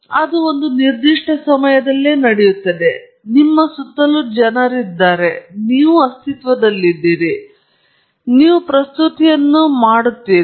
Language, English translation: Kannada, So, it happens at a certain instant of time, there are people around you, you are present, and then, you make the presentation